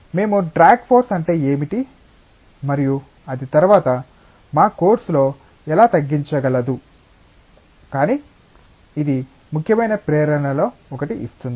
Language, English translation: Telugu, We will come into what is drag force and how it can minimise later on in our course, but it gives one of the important motivations